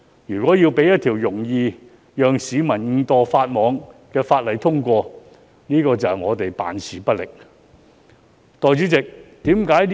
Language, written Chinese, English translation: Cantonese, 如一項令市民容易誤墮法網的法例獲得通過，絕對是我們辦事不力。, It will undoubtedly be ineffectiveness on our part if a piece of legislation which renders the public vulnerable to breaking the law inadvertently is passed